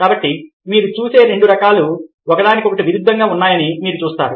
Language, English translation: Telugu, so you see that two kinds of seeing are conflict with one another